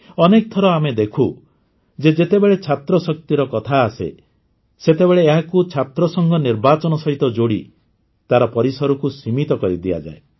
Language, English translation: Odia, Many times we see that when student power is referred to, its scope is limited by linking it with the student union elections